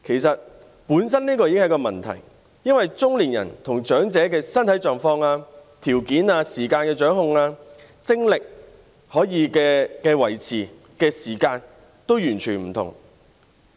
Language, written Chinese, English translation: Cantonese, 這本身已是一個問題，因為中年人與長者在身體狀況、條件、對時間的掌控、精力等方面均完全不同。, This in itself is already a problem because middle - aged people and elderly people are entirely different in terms of their physical conditions and other conditions the control over time stamina etc